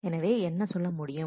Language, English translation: Tamil, So, what are you saying